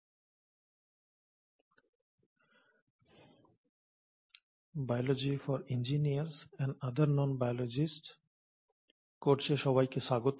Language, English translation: Bengali, Hello and welcome to this course called “Biology for Engineers and other Non Biologists”